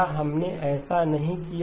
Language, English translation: Hindi, Did not we do this